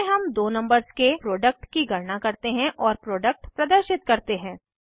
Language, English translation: Hindi, In this we calculate the product of two numbers and display the product